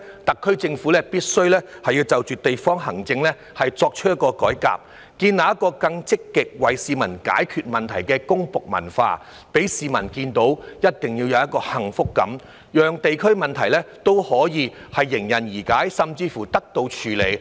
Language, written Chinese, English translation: Cantonese, 特區政府必須改革地區行政，建立更積極為市民解決問題的公僕文化，一定要讓市民有幸福感，讓地區問題可以迎刃而解，甚至得到處理。, The SAR Government must reform district administration and build a civil service culture that is more proactive in solving problems for the public . It has to definitely give the public a sense of happiness and promptly solve or even settle district problems